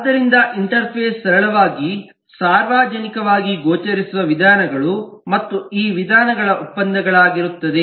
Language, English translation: Kannada, so interface will simply be the methods, publicly visible methods, and the contracts of these methods